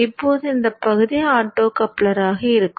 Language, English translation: Tamil, Now this portion will be the optocopter